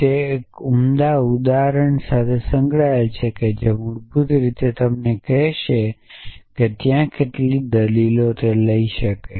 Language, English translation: Gujarati, So, they have an associated with an arity which basically tells you how many arguments it can take